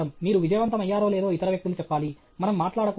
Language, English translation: Telugu, Other people should tell whether your successful or not; we should not keep on talking